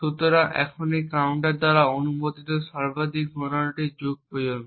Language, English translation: Bengali, So, therefore the maximum count that is permissible by this counter is upto the epoch